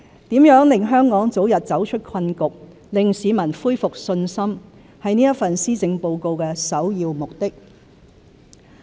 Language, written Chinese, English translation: Cantonese, 如何令香港早日走出困局、令市民恢復信心，是這份施政報告的首要目的。, As such the primary objective of this Policy Address is to look at ways to get Hong Kong out of the impasse and to restore peoples confidence as soon as possible